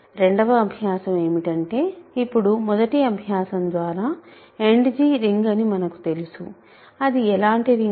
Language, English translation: Telugu, The second exercise is to show that now that by first exercise we know that End G is a ring, what kind of ring is it